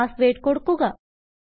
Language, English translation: Malayalam, Enter your password